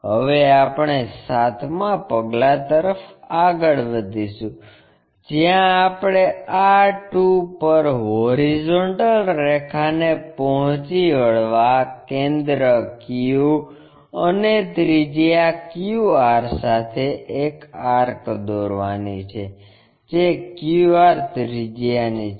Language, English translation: Gujarati, Now, we will move on to seventh point; where we have to draw an arc with center q and radius q r that is from q r radius to meet horizontal line at r2